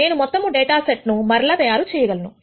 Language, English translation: Telugu, I will be able to reconstruct the whole data set